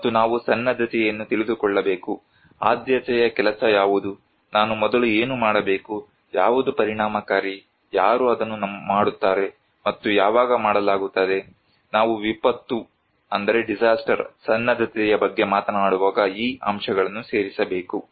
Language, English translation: Kannada, And also we need to know the preparedness; what is the priority work, which one I should do first, what is effective, who will do it, and when would be done so, these components should be included when we are talking about a disaster preparedness